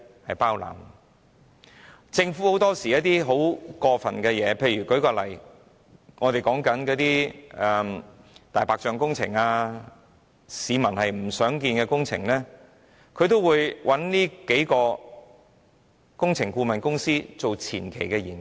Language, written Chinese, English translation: Cantonese, 很多時候，政府會做一些很過分的事情，例如在進行一些"大白象"工程或市民不想看到的工程時，它便會找這數間工程顧問公司協助進行前期研究。, Often the Government will go so out of the line to for example engage these few works consultants to assist the preliminary studies of some white elephant projects or projects not wanted by the public